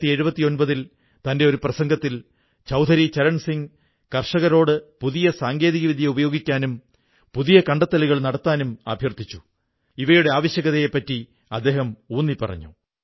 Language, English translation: Malayalam, Chaudhari Charan Singh in his speech in 1979 had urged our farmers to use new technology and to adopt new innovations and underlined their vital significance